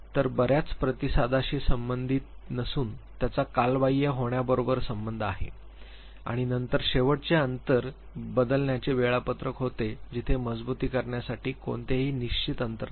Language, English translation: Marathi, So, it has not to do with a number of response rather it has a do with the time lag and then the last was the variable interval schedule where there is no fixed interval for reinforcement